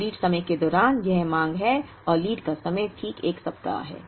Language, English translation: Hindi, Now, this is the demand during the lead time and lead time is exactly 1 week